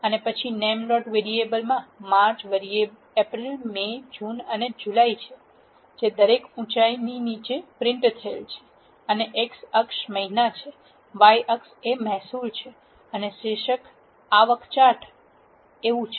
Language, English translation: Gujarati, And then in the names dot variable we have March, April, May, June and July, which is printed at the bottom of each height, and the x axis is month, y axis is revenue and the title is revenue chart